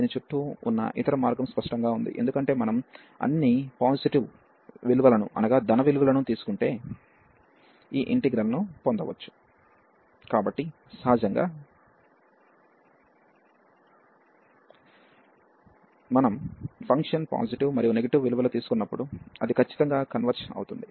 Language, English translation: Telugu, The other way around this is obvious, because if we taking all the positive value is still we can get this integral, so naturally when we take the when the function takes positive and negative values, it will certainly converge